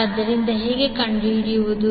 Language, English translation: Kannada, so, how to find